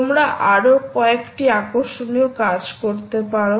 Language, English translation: Bengali, you can do several other interesting things as well, ah